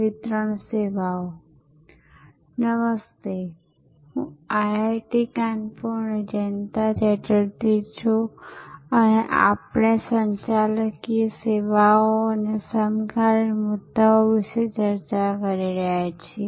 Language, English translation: Gujarati, Hello, this is Jayanta Chatterjee from IIT, Kanpur and we are discussing Managing Services contemporary issues